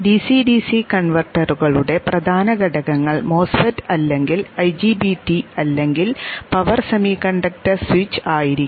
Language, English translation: Malayalam, In the case the DCDC converters the main components in it are the MOSFET or IGBT some power semiconductor switch